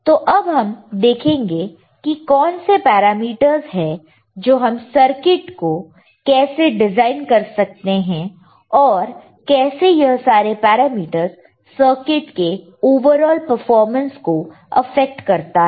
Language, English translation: Hindi, So, let us see how what are the parameters and how we can design the circuit or how this will affect the overall performance of the circuit